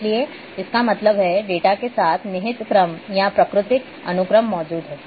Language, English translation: Hindi, So; that means, there is inherent order or natural sequence exist with the data